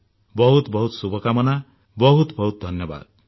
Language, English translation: Odia, My best wishes to you all and many thanks